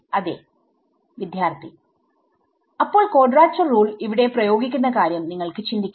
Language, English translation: Malayalam, So you can think of applying quadrature rule over here